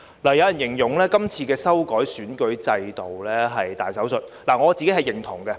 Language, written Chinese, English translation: Cantonese, 有人形容今次修改選舉制度是大手術，我是認同的。, Some people have described this exercise to amend the electoral system as a major operation and I agree with this